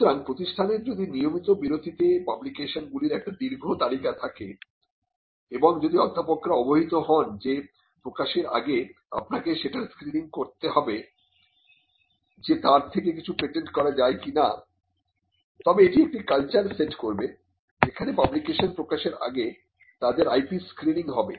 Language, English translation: Bengali, So, if some if the institute has a long list of publications happening at regular intervals and if the professors are informed that before you publish you have to actually do a screening on whether something can be patented then that will set a culture where the publications before they get published are also screened for IP